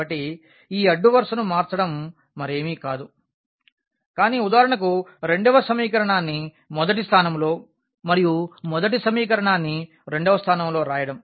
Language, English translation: Telugu, So, changing this row is nothing, but just the writing the second equation for example, at the first place and the first equation at the second place